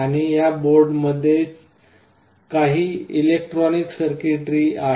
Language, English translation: Marathi, And in this board itself there is some electronic circuitry